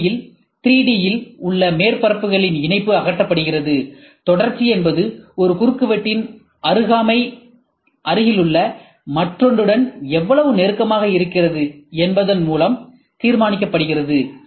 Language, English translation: Tamil, In this way, the connection of surfaces in 3D is removed and continuity is determined by how close the proximity of one cross section is with an adjacent one